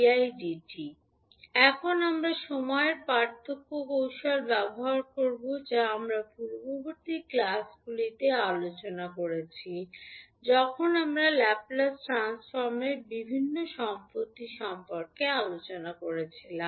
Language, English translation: Bengali, Now, we will use time differentiation technique which we discussed in the previous classes when we were discussing about the various properties of Laplace transform